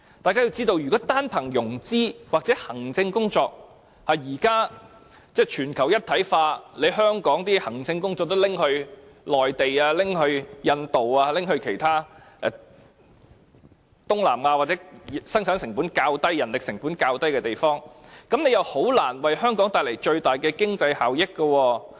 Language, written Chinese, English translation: Cantonese, 大家要知道，現時全球一體化，如果只論融資或行政工作，香港的行政工作可能會被內地、印度、東南亞或其他生產及人力成本較低的地方取代，這樣，建議就難以為香港帶來最大的經濟效益。, We have to note that with regard to financing and administrative work under globalization the administrative support provided by Hong Kong can be easily replaced by the services offered by the Mainland India Southeast Asia or other places in which the cost of labour is lower . Therefore the proposal can hardly bring about the greatest economic benefit possible to Hong Kong